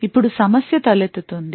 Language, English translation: Telugu, Now the problem arises